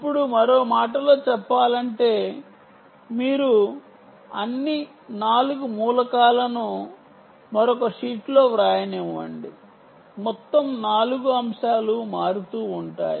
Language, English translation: Telugu, ok, let me write in another sheet: all four elements, all four elements are varying